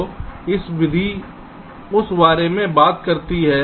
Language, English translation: Hindi, so this method talks about that